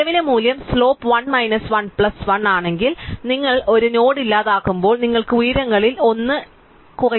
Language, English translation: Malayalam, Now, if you can argue very easily that if the current value is of the slope some minus 1 plus 1, when you delete a node, you can reduce one of the heights by 1